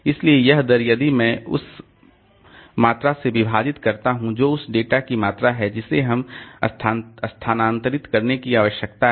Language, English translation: Hindi, So, that rate if I divide by that quantity, that amount of data that we need to transfer, so that will give me the transfer time